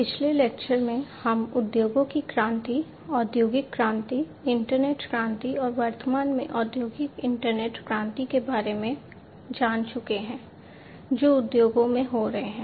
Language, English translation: Hindi, So, in the previous lectures, we have gone through the revolution of the industries, the industrial revolution, internet revolution, and at present the industrial internet revolution that the industries are going through